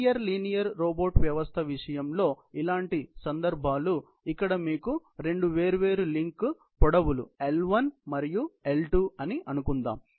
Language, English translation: Telugu, Similar cases in the case of a linear linear robot system, where you have two different link lengths; let us say L1 and L2